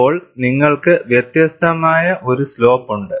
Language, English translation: Malayalam, Then, you have a slope which is different